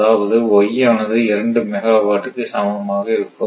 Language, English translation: Tamil, Therefore, your f 2 2 that is y is equal to your 2 megawatt , right